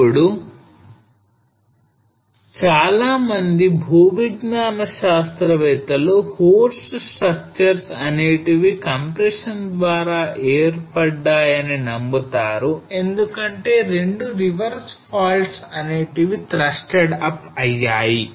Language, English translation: Telugu, Now most of the geologists believe that horst structures are formed by compression as two reverse faults are thrusted up